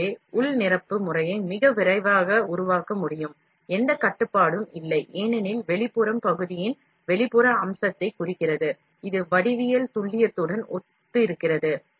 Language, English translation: Tamil, So, the internal fill pattern can be built more rapidly, no control, since the outline represents the external feature of the part, that corresponds to the geometric precision